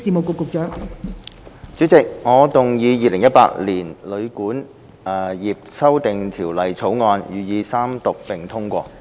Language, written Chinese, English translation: Cantonese, 代理主席，我動議《2018年旅館業條例草案》予以三讀並通過。, Deputy President I move that the Hotel and Guesthouse Accommodation Amendment Bill 2018 be read the Third time and do pass